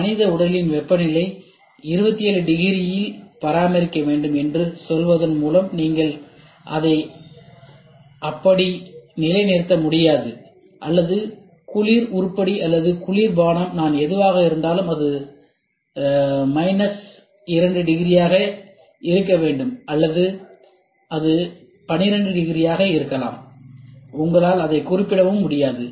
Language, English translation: Tamil, You cannot nail it by saying that the temperature of the human body should be maintained at 27 degrees do this and or the cold item or the cold drink whatever I am it has to be around minus 2 degrees or it can be 12 degrees, you cannot specify it